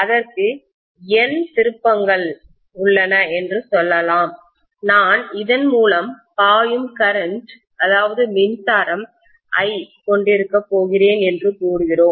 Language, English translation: Tamil, So let us say it has N turns and let us say I am going to have an electric current of I flowing through this, okay